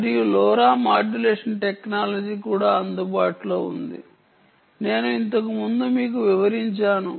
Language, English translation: Telugu, lora modulation technology is also available: ah, which i described to you earlier